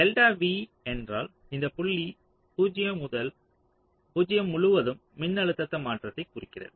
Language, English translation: Tamil, so delta v means change in voltage across this point zero